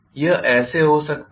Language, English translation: Hindi, That is how it could be